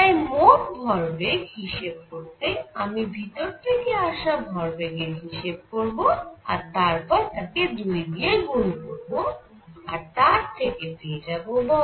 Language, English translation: Bengali, So, I will calculate the total momentum coming in multiplied by 2 and that would give me the answer for the force